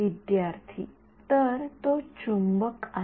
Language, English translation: Marathi, So the that is magnet